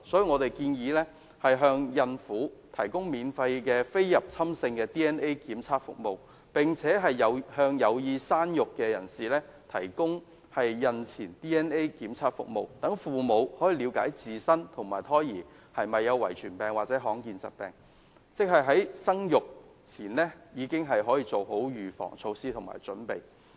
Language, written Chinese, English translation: Cantonese, 我們建議向孕婦提供免費非侵入性 DNA 檢測服務，並且向有意生育人士提供孕前 DNA 檢測服務，讓父母可以了解自身及胎兒有否遺傳病或罕見疾病，在生育前已經做好預防措施及準備。, We propose that the Government should provide pregnant women with free prenatal non - invasive fetal trisomy DNA testing services and provide those who want to have children with preconception trisomy DNA testing services in order to allow parents to understand if they or the foetuses are suffering from inherited diseases or rare diseases and to put preventive measures and preparations in place before they give birth to their children